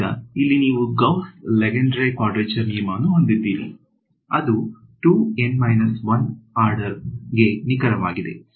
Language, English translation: Kannada, So, you have a Gauss Lengedre quadrature rule which is accurate to order 2 N minus 1 right